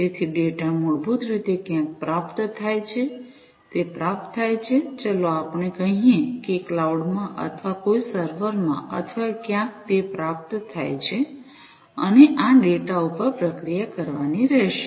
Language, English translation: Gujarati, So, the data basically are received at somewhere, it is received let us say in the cloud or in some server or somewhere it is received, and this data will have to be processed, right